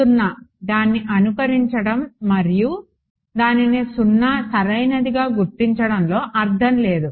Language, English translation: Telugu, 0, there is no point in simulating and finding out it to be finding it out to be 0 right